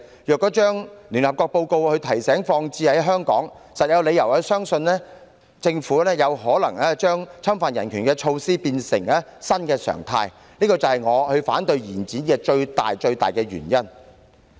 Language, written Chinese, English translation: Cantonese, 如把聯合國報告的提醒代入香港的情況，實在有理由相信政府有可能想把侵犯人權的措施變成新常態，這是我反對延展修訂期限的最大原因。, If the reminder issued by the United Nations in its report is applied to the situation of Hong Kong there are indeed reasons to believe that it may be the Governments intention to turn measures infringing human rights into new norms and this is the main reason why I object to the proposed extension of the scrutiny period